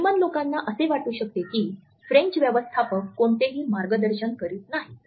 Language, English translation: Marathi, While Germans can feel that the French managers do not provide any direction